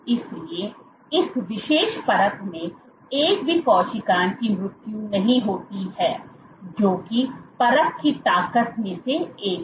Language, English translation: Hindi, So, not a single cell has died in this particular assay that is one of the strength of assay